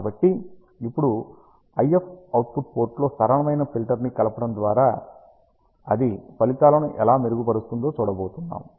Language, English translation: Telugu, So, now, we are going to see that how a simple filter addition in the IF output port can dramatically improve the results